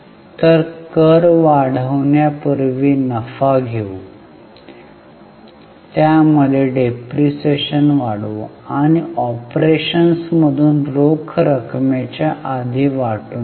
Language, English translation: Marathi, So, let us take profit before tax, add interest, add depreciation, which is our PBDIT, and divide it fast by cash from operations